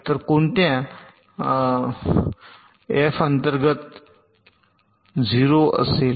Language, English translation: Marathi, so under what condition this f will be zero